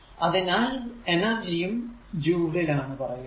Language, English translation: Malayalam, So, energy is measured in joules